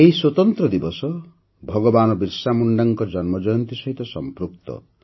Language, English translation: Odia, This special day is associated with the birth anniversary of Bhagwan Birsa Munda